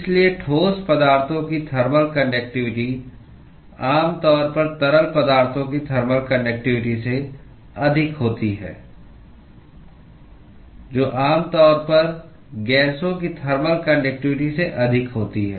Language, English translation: Hindi, So, the thermal conductivity of solids is typically greater than the thermal conductivity of liquids, which is typically greater than the thermal conductivity of gases